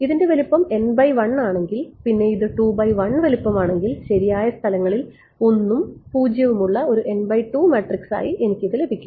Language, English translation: Malayalam, Right if this is size n cross 1 and this is size 2 cross 1 I can get this to be an n cross 2 matrix which is this have 1s and 0s in the right places